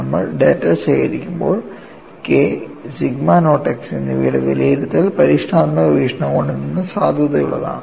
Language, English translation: Malayalam, When you collect the data, the evaluation of k and sigma naught x is valid from experimental point of view